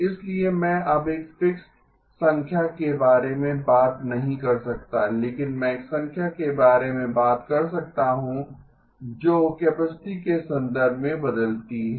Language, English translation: Hindi, So I can now not talk about a fixed number but I can talk about a number that changes in terms of the capacity